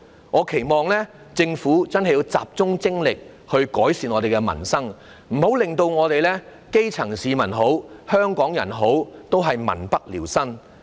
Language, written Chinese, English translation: Cantonese, 我期望政府真的要集中精力改善民生，不要令基層市民或香港人民不聊生。, I hope the Government will really focus its efforts on improving peoples livelihood and avoid landing the grass roots or Hong Kong people in dire straits